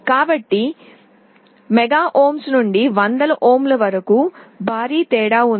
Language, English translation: Telugu, So, from mega ohm to hundreds of ohms is a huge difference